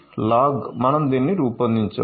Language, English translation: Telugu, log so, we have generated this one